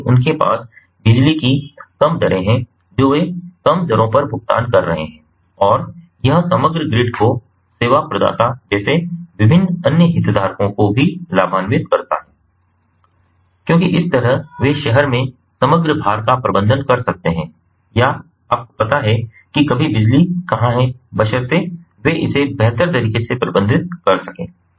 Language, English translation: Hindi, they are paying at lower rates and it also benefits the overall grid, the different other stake holders, like the service provider, because that way they can manage the overall load in the city or, you know, where ever the electricity is being ah, is being ah provided ah, they can manage it better